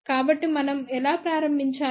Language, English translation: Telugu, So, how do we start